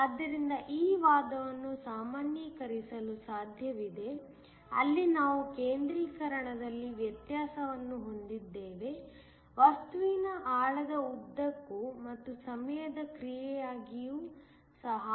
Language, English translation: Kannada, So, it is possible to generalize this argument where we have a variation in concentration, both along the depth of the material and also as a function of time